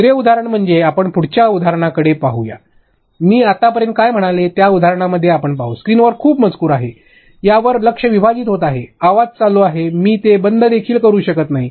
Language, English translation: Marathi, Secondly let us go to the next example here we will see in the examples of what I was saying till now, split attention there is too much of text on screen, your audio is playing I can see the audio down, I cannot even shut that